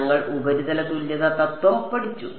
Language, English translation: Malayalam, We studied surface equivalence principle and